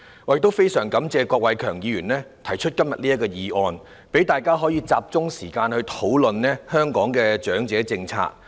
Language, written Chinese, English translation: Cantonese, 我也非常感謝郭偉强議員今天提出這項議案，讓大家集中討論香港的長者政策。, I am also grateful to Mr KWOK Wai - keung for proposing this motion today facilitating our focused discussion on the elderly policy of Hong Kong